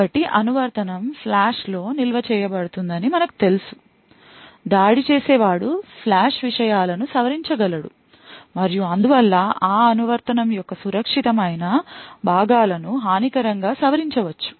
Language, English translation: Telugu, So, as we know that the application would be stored in the flash and what could possibly happen is that an attacker could modify the flash contents and therefore could modify the secure components of that application the function maliciously